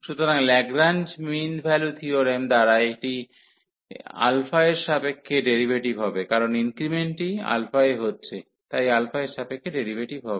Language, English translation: Bengali, So, this one by Lagrange mean value theorem will be the derivative with respect to alpha, because the increment is in alpha, so derivative with respect to alpha